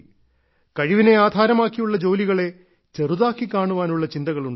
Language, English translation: Malayalam, The thinking became such that skill based tasks were considered inferior